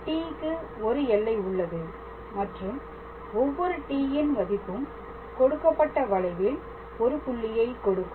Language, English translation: Tamil, So, for every t; so, t has a range and for every t will obtain a point on that given curve